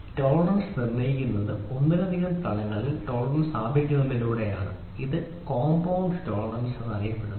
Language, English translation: Malayalam, The tolerance is determined by establishing tolerance on more than one dimension it is known as compound tolerance